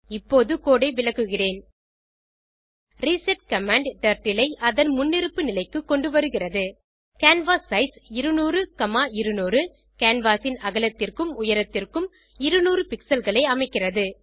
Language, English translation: Tamil, I will Explain the code now reset command sets Turtle to its default position canvassize 200,200 fixes the width and height of the canvas to 200 pixels each